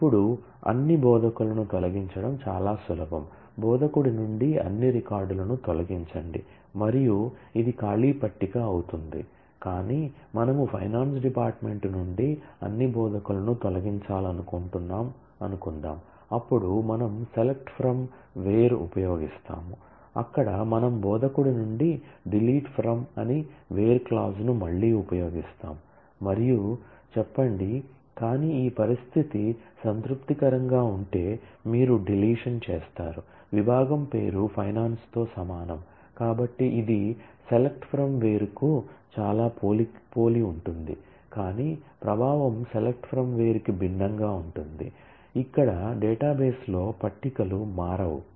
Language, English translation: Telugu, Now, deleting all instructors are easy delete from instructor all records sorry this and this becomes an empty table, but suppose we want to delete all instructors from the finance department, then like we do in the select from where we again use the where clause as a predicate and say that delete from instructor, but you do the deletion provided this condition is satisfied that is; department name is same as finance